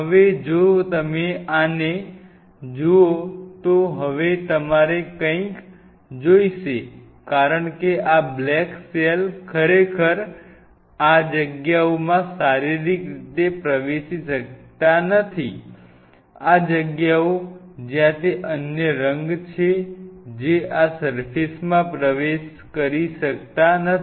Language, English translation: Gujarati, Now if you look at this now you need something because these cells just physically look at it these black cells cannot really penetrate into these spaces, these spaces which are there put another color that will make more sense they cannot penetrate into this surface